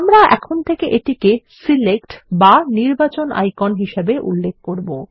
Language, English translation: Bengali, We will call this as the Select icon from now on